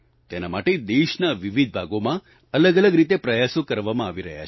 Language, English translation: Gujarati, For this, efforts are being made in different parts of the country, in diverse ways